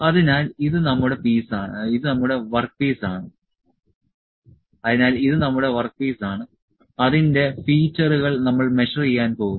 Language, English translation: Malayalam, So, this is our work piece, the features of which we are going to measure